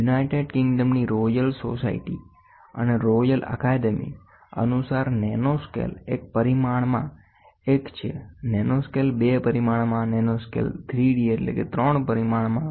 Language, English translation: Gujarati, According to royal society, and royal academy of engineers in United Kingdom, nanoscale is one in one dimension, nanoscale in two dimension, nanoscale in three dimension